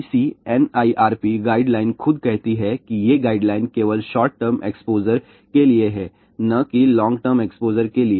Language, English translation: Hindi, ICNIRP guideline itself says that these guidelines are only for short term exposure and not for long term exposure